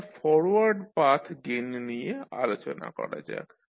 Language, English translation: Bengali, Now, let us talk about Forward Path Gain